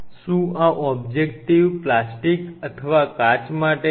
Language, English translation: Gujarati, Is this objective for plastic or glass